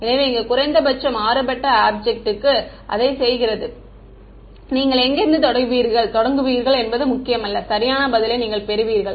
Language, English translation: Tamil, So, for a low contrast object it does not matter where you start from and you arrive at the correct answer